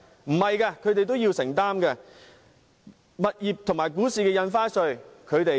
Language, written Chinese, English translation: Cantonese, 不是的，他們同樣要承擔，也需付物業和股市的印花稅。, No . They also have to pay stamp duty on property and stock transactions